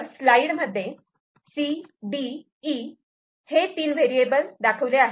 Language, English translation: Marathi, So, CDE three variables are there